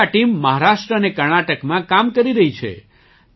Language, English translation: Gujarati, Today this team is working in Maharashtra and Karnataka